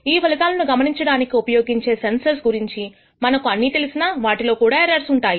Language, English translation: Telugu, Even if we know everything the sensor that we use for observing these outcomes may themselves contain errors